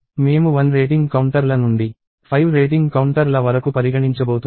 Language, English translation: Telugu, I am going to touch the rating counters of one to rating counters of 5